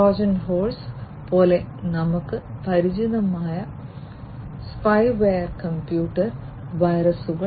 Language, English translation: Malayalam, And spyware computer viruses etcetera we are already familiar with like Trojan Horse, etc